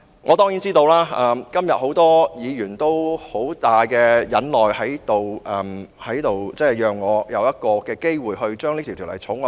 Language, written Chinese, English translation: Cantonese, 我當然知道今天很多議員都十分忍耐，讓我有機會二讀《條例草案》。, I am well aware that many Members have been very patient today and allowed me to proceed to the Second Reading of the Bill